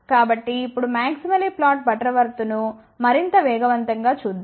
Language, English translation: Telugu, So now, let us just look at the maximally flat Butterworth in more detail now